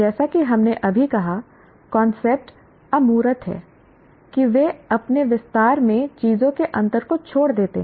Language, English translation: Hindi, As we just now stated, concepts are abstract in that they omit the differences of the things in their extension